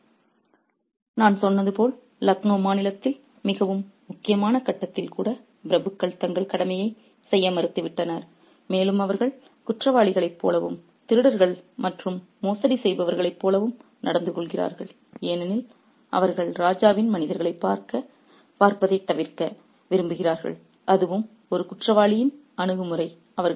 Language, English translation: Tamil, And as I said, the aristocrats refused to do their duty even at a highly critical point in the state of Lucknow and they behave like criminals like thieves and fraudsters because they want to avoid the sight of the king's men and that's an attitude of the criminal